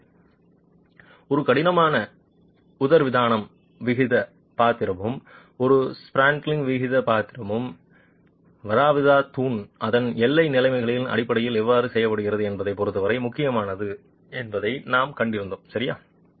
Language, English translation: Tamil, So, we have seen that the role played by a rigid diaphragm and the role played by a spandrel is critical in terms of how the peer behaves in terms of its boundary conditions